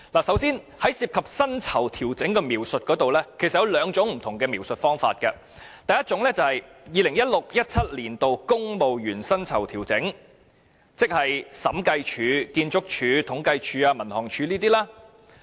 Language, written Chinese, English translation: Cantonese, 首先，涉及薪酬調整的描述有兩種不同的寫法，第一種就是 "2016-2017 年度公務員薪酬調整"，即見於審計署、建築署、政府統計處、民航處等的總目。, First there are two kinds of wording for the description of pay adjustment . The first one is 2016 - 2017 civil service pay adjustment as seen in the heads of the Audit Commission Architectural Services Department Census and Statistics Department Civil Aviation Department etc